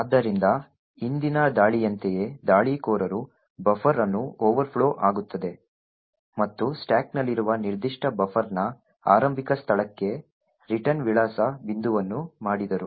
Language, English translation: Kannada, So just like the previous attack where the attacker overflowed a buffer and made the return address point to the starting location of that particular buffer on the stack